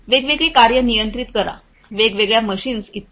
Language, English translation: Marathi, Monitor control different tasks different machines etc